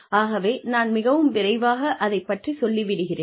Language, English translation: Tamil, So, I will go through this, very very quickly